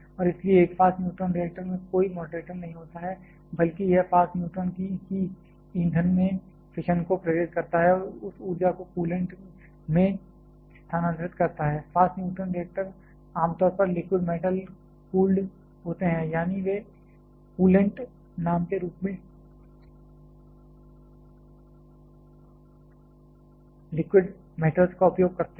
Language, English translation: Hindi, And therefore, a fast neutron reactor does not have any moderator; rather it fast neutron itself induce fission to the fuel and transfer that energy to the coolant, fast neutron reactors are generally liquid metal cooled; that is, they use liquid metals as the coolant name